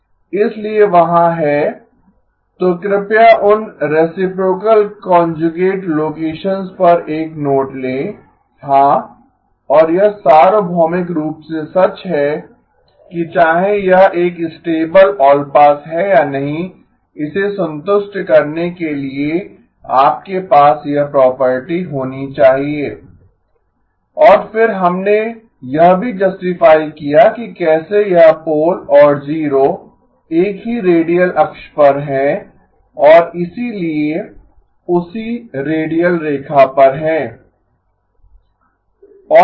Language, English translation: Hindi, So there is so please make a note of that reciprocal conjugate locations yeah and this is universally true whether it is a stable allpass or not you must have this property in order for it to satisfy and then we also justified that how this pole and zero are on the same radial axis and therefore on the same radial line